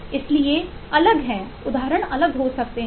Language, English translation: Hindi, so there are different eh could be different